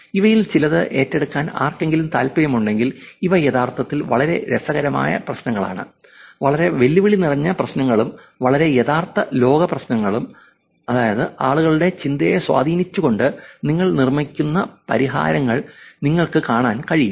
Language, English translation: Malayalam, If anybody is interested in taking up some of these, these are actually very interesting problems, very challenging problems also and very real world problems which is, you can actually look at the solutions that you build, becoming / influencing people’s thinking